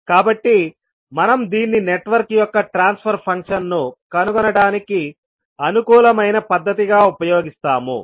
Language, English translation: Telugu, So, we will use this as a convenient method for finding out the transfer function of the network